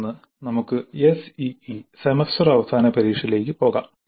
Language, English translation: Malayalam, Then let us move on to the SEA semester and examination